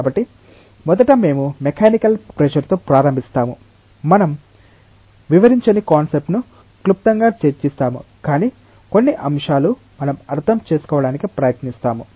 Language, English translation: Telugu, So, first we start with the mechanical pressure, we will briefly discuss about the concept we do not elaborate, but the certain concepts we will try to understand